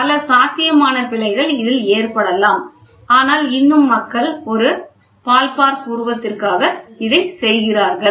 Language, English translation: Tamil, There are number of possible errors which can happen in this, but still people do it for a ballpark figure